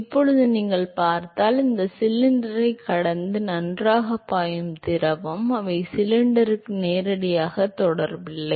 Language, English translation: Tamil, Now if you look at the fluid which is flowing well past this cylinder they are not in direct contact with the cylinder at all